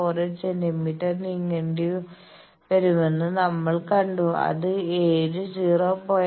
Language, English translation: Malayalam, 48 centimetres which happens to be at seven 0